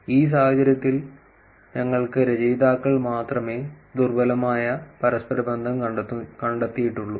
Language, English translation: Malayalam, Which is that we in this case we only have authors only found weak correlation